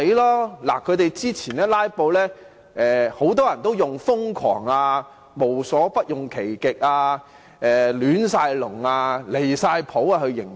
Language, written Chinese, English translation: Cantonese, 對於他們之前的"拉布"行動，很多人也用"瘋狂"、"無所不用其極"、"亂晒籠"、"離晒譜"等來形容。, With regard to their previous filibustering actions many people have described them as crazy that they sought to achieve their aims by hook or by crook and that they created such a big mess and stepped over the line